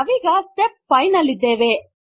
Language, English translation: Kannada, We are in Step 5